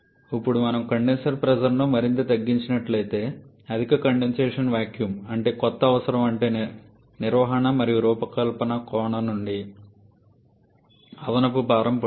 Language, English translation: Telugu, And now if we reduce the condenser pressure even more so higher condensation vacuum means new required which will put additional burden from maintenance and when the fabrication point of view